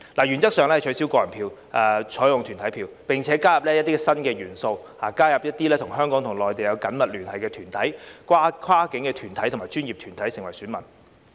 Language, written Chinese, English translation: Cantonese, 原則上取消個人票，採用團體票，並加入一些新元素，加入一些與內地有緊密聯繫的香港團體、跨境合作專業團體，成為選民。, In principle individual votes are abolished and corporate votes are adopted . Some new elements are added such as the inclusion of Hong Kong organizations with close ties to the Mainland and professional organizations with cross - border cooperation as voters